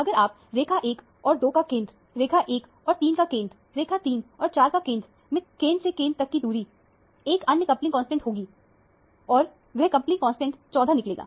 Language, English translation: Hindi, If you take the center of the line 1 and 2 and center of line 1 and 3 – line 3 and 4, the center to center distance will be another coupling constant and that coupling constant turns out to be 14